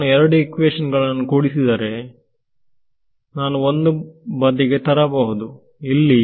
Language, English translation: Kannada, Add these two equations if I add these two equations